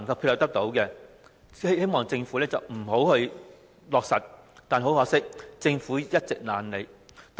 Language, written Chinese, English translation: Cantonese, 他們都希望政府不要落實發展項目，但很可惜，政府一直懶理他們的意見。, They hoped that the Government would not implement the development project; unfortunately the Government had been indifferent to their views